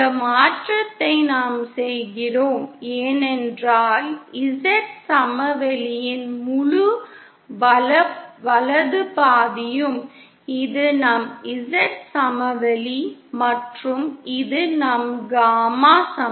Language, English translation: Tamil, We do this conversion because the entire right half of the Z plain this is our Z plain and this is our gamma plain